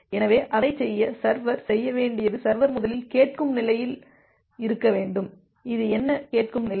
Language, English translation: Tamil, So, to do that what the server has to do the server has to first to be in the listen state, what is this listen state